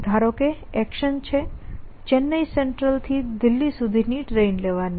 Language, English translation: Gujarati, And that let us say that action is taking a train from Chennai central to Delhi